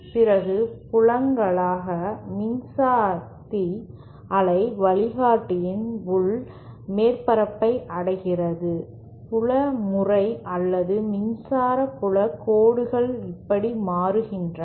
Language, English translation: Tamil, And as the fields, electric power reaches the inner surface of the waveguide, the field pattern or the electric field lines change like this